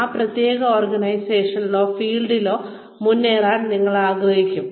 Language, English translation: Malayalam, You will want to keep advancing, in that particular organization, or field